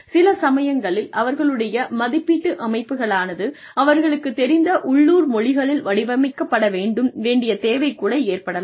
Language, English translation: Tamil, So, in some cases, their appraisal systems, may even need to be designed, in the local language, that they are familiar with